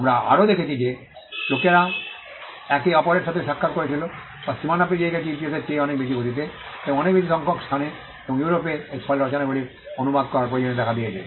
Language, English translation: Bengali, We also found that people were meeting each other or crossing borders much at a much greater pace than they ever did in history and at a much bigger number and in Europe this actually led to the need to translate works